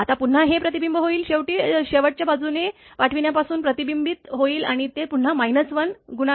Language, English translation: Marathi, Now, again it will be reflected, reflected from sending end side and again it is minus 1 coefficient